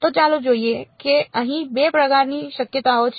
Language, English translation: Gujarati, So, let us see there are sort of 2 possibilities over here